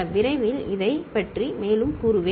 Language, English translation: Tamil, I shall tell more about it shortly